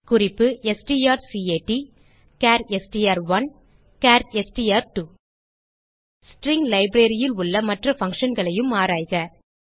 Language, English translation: Tamil, Hint: strcat(char str1, char str2) Also explore the other functions in string library